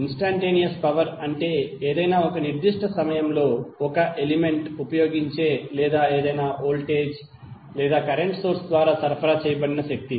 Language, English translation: Telugu, Instantaneous power is the power at any instant of time consumed by an element or being supplied by any voltage or current source